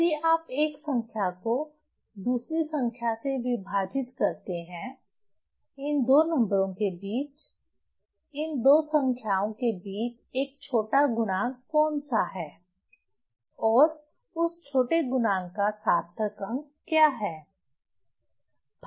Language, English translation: Hindi, So, if you divide one number by another number, say among these two number between these two number, which one is smaller factor and what is the significant figure of that smaller factor